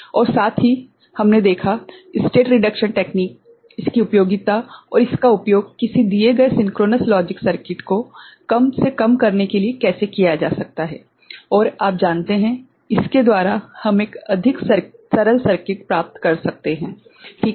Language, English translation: Hindi, And also we saw that state reduction techniques, the usefulness of it and how it can be used to minimize a given synchronous logic circuit and by which we can get a more you know, a simpler circuit ok